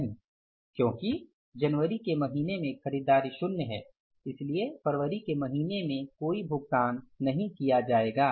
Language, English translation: Hindi, Because purchases in the month of January are mill, so no payment we will be making in the month of February